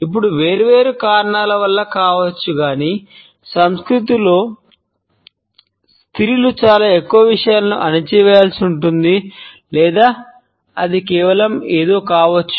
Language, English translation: Telugu, Now, this could be for different reasons, either one it is been oddly ingrained in the culture that ladies are supposed to react a lot more subdued to stuff or it could be something just